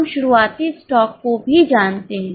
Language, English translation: Hindi, We also know the opening stock